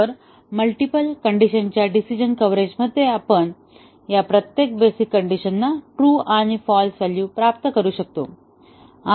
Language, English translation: Marathi, So, in the multiple condition decision coverage we let each of these basic conditions achieve true and false values